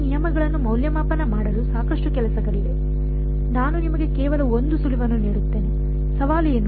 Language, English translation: Kannada, There is a lot of a work that will go into evaluating these terms, I will give you just 1 hint, what the challenge will be